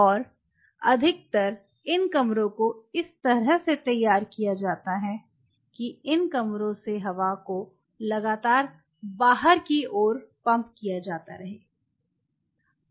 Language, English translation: Hindi, And most of these rooms are being arraigned in a way that the air is being continuously pumped out of these rooms